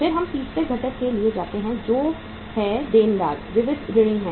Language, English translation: Hindi, Then we go for the third item that is the debtors, sundry debtors